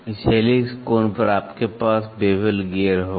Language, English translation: Hindi, At this helix angle then you will have bevel gear